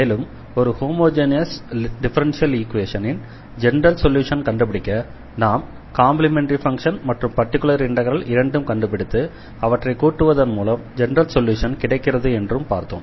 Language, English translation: Tamil, And also we have discussed already that to find the general solution of a given a differential equation, we need to find the complementary function and we need to find the particular integral and when we add the two, we will get the general solution of the given on homogeneous differential equation